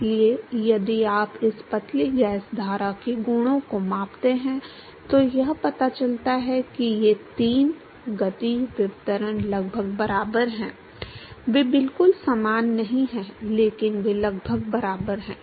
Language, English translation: Hindi, So, if you measure the properties of this thin gas stream it turns out that these three diffusivity is a almost equal they are not exactly the same, but they are almost equal